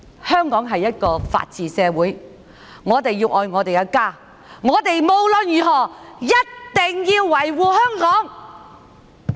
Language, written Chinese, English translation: Cantonese, 香港是一個法治社會，我們要愛我們的家，無論如何一定要維護香港。, Hong Kong is a society which upholds the rule of law . We must love our home and we must by all means protect Hong Kong